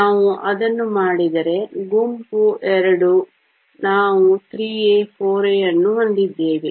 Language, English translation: Kannada, If we do that to, group II, we have 3 A, 4 A